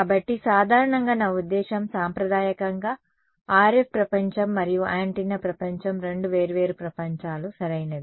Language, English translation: Telugu, So, normally I mean traditionally what has the RF world and the antenna world are two different worlds right